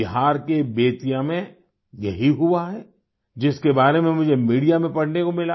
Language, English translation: Hindi, This very thing happened in Bettiah, about which I got to read in the media